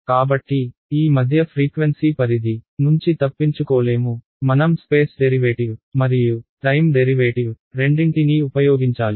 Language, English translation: Telugu, So, in this mid frequency range there is no escape, I have to use both the space derivative and the time derivative ok